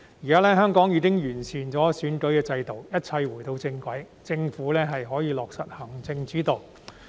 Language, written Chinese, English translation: Cantonese, 現時，香港已經完善選舉制度，一切回到正軌，政府可以落實行政主導。, At present Hong Kong has improved the electoral system . Everything is now back on track and the Government can implement the executive - led system